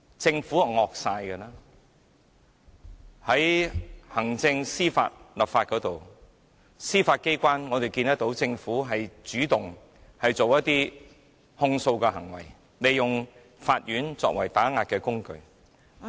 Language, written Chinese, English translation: Cantonese, 在行政、司法、立法方面，我們看到政府主動提起控訴，利用法院作為打壓工具......, Regarding its executive judicial and legislative powers we have seen it take the initiative to institute prosecutions and manipulate the courts as a means of suppression